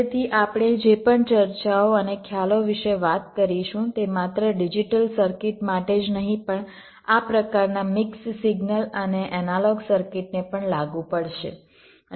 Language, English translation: Gujarati, so whatever discussions and concepts we would be talking about, they would apply not only to digital circuits but also to this kind of mix signal and analog circuits as well